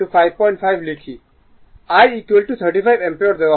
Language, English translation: Bengali, I is equal to 35 ampere is given